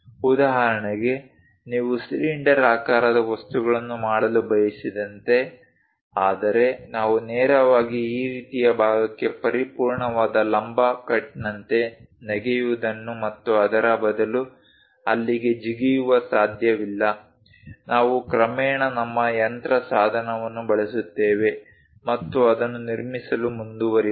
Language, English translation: Kannada, For example, like you want to make a cylindrical objects, but we cannot straight away jump into this kind of portion like a perfect vertical cut and jump there instead of that, we gradually use our machine tool and then go ahead construct that